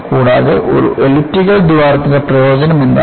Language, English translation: Malayalam, And, what is the advantage of an elliptical hole